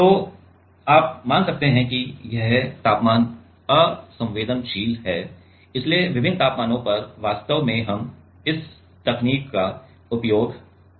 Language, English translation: Hindi, So, you can consider this is temperature insensitive so, at different temperatures actually we can use this technique